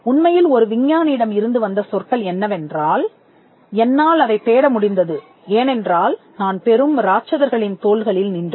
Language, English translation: Tamil, In fact, we had statements from scientist who have said that if I could look for it is because, I stood on the shoulders of giants